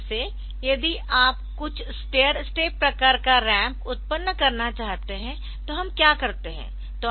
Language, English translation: Hindi, Like if you want to generate some stair step type of ramp then what we do see the we want to generate